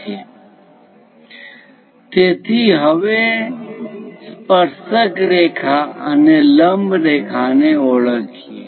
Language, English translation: Gujarati, So, now, let us identify the tangent line and the normal line